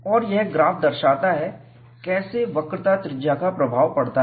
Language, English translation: Hindi, And this graph shows, how does the radius of curvature acts as an influence